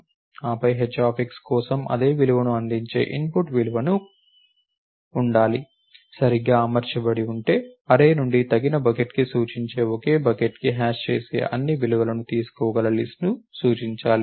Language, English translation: Telugu, Then, input values that returns the same value for h of x have to be properly accommodated such that if there is a collision the index from the array to the appropriate bucket should point to a list that can take in all the values that hash to the same bucket